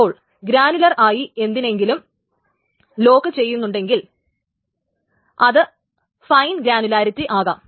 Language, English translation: Malayalam, So the granularity of locking essentially is that this can be in a fine granularity